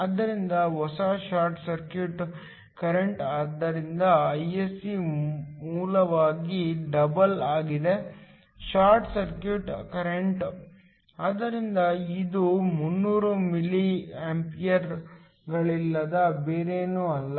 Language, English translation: Kannada, Therefore, the new short circuit current is essentially the double of the original short circuit current, so this is nothing but 300 milli amperes